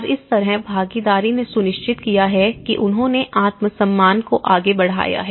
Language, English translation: Hindi, And that is how the participation have ensured that they have taken the self esteem forward